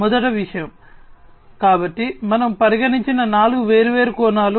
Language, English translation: Telugu, The first thing, so there are four different facets that we have considered